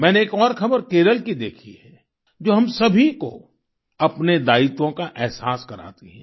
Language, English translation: Hindi, I have seen another news from Kerala that makes us realise our responsibilities